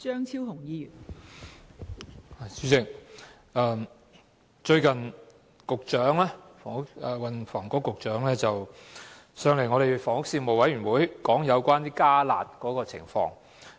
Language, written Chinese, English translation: Cantonese, 代理主席，最近運輸及房屋局局長出席了房屋事務委員會會議有關"加辣"的討論。, Deputy President the Secretary for Transport and Housing recently attended a meeting of the Panel on Housing to discuss the enhanced curb measures